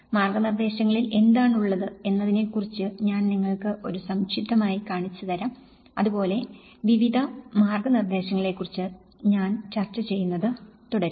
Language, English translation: Malayalam, I will show you a brief about what is there in the guidelines and like that, I will keep discussing about various guidelines